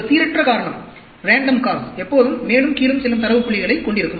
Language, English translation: Tamil, A random cause will always have data points going up and down